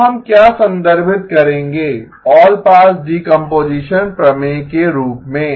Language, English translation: Hindi, So what we will refer to as the allpass decomposition theorem